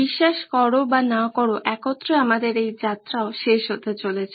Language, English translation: Bengali, Believe it or not our journey together is also coming to an end